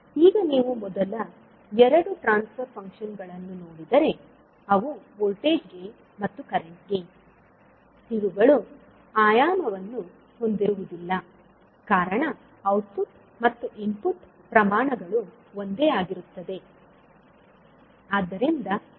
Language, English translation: Kannada, Now if you see the first two transfer function, that is voltage gain and the current gain, these are dimensionless because the output an input quantities are the same